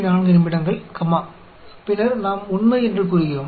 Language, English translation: Tamil, 4 minutes, comma; then, we say true